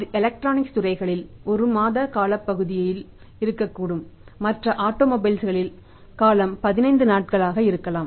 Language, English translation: Tamil, May be in the electronics this one month period in the say automobiles there is 15 days period or maybe in the other sectors